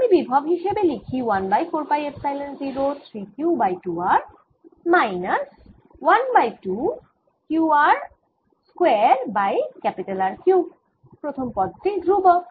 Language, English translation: Bengali, let me write the potential: one over four pi epsilon zero, three q over two r, minus one half q r square over r q, the first term, the constant